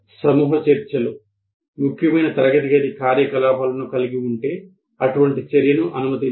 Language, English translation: Telugu, If group discussions constitute a significant classroom activity, the furniture should permit such an activity